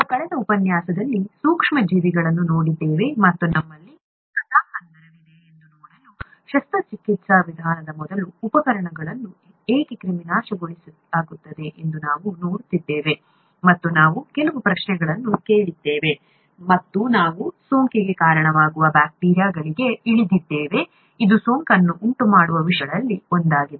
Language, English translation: Kannada, We saw in the last lecture, the micro organisms, and to see that we had a storyline, we were looking at why instruments are sterilized before a surgical procedure and we asked a few questions and we came down to bacteria which can cause infection, which is one of the things that can cause infection